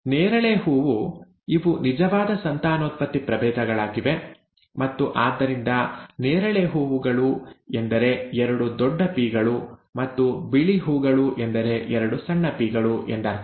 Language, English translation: Kannada, The purple flower, these were true breeding the true breeding varieties and therefore the purple flowers means both are capital P, and the white flowers means both are small p, okay